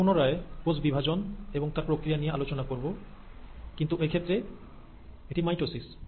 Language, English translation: Bengali, We’ll again cover cell division, there are different types of it, but here in this case it is mitosis